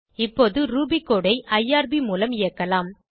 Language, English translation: Tamil, Now let us execute our Ruby code through irb